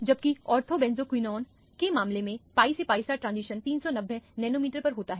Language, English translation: Hindi, Whereas, in the case of ortho benzoquinone, the pi to pi star transition occurs at 390 nanometer